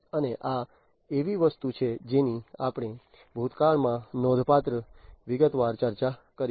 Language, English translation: Gujarati, And this is something that we have already discussed in significant detailed in the past